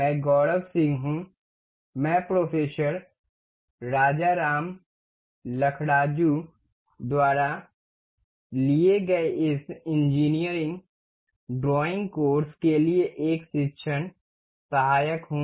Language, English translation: Hindi, I am Gaurav Singh, I am a teaching assistant for this Engineering Drawing Course taken by Professor Rajaram Lakkaraju